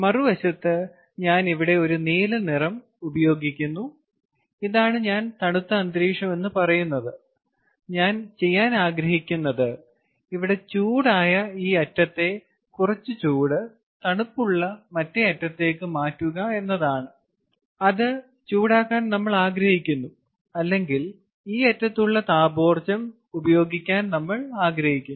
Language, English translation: Malayalam, on the other end i am using a blue ah color here and this is, i would say, a colder ambience, a colder ambient, ok, and what i want to do is transfer some of the heat which is at this location, the hot ambient, as we are talking, as we are calling it, and we want to transfer some of the thermal energy that is present over here to the other end